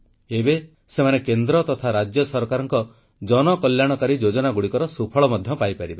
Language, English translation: Odia, They will now be able to benefit from the public welfare schemes of the state and central governments